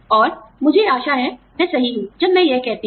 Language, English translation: Hindi, And, I hope, I am right, when I say this